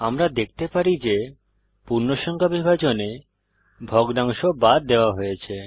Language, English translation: Bengali, We can see that in integer division the fractional part is truncated